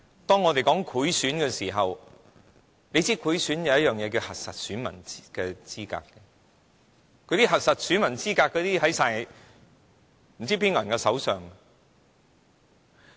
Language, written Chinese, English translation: Cantonese, 當我們說到賄選——要知道賄選有一件事是核實選民資格——那些用於核實選民資格的資料，不知在誰手上？, There is also the issue of election bribery . We should know that if one wants to bribe any electors one must first verify their voter registration . You see all the information that can verify peoples voter registration is now lost in the hands of unknown people